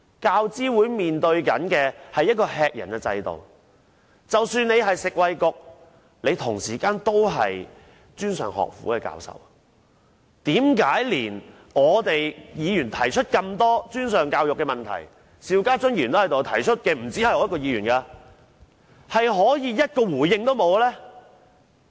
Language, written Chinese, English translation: Cantonese, 教資會所面對的是一個吃人的制度，即使她現在是食物及衞生局局長，她同時也是專上學府的教授，為何連議員提出這麼多專上教育的問題，她也可以不作回應呢？, UGC is facing a system of exploitation and although she is now the Secretary for Food and Health she was also once a professor in a post - secondary institution and how come she had nothing to say in reply to the many problems raised by Members about post - secondary education?